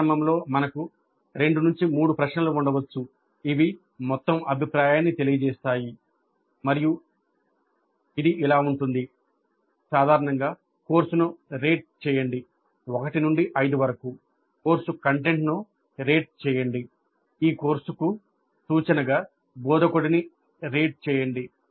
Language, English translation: Telugu, Then initially we can have two three questions which elicit the overall view and that can be like rate the course in general 1 to 5 rate the course content rate the instructor with reference to this course